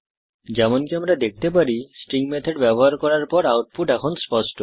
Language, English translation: Bengali, So let us use the String methods to clean the input